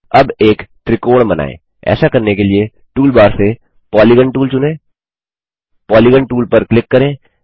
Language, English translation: Hindi, Lets now construct a triangle to do this , Lets select the Polygon tool from the tool bar, Click on the Polygon tool